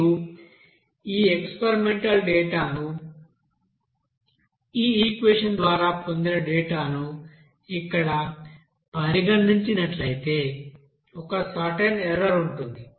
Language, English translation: Telugu, Now if you consider this experimental data, and the data obtained by this equation here, there will be a certain error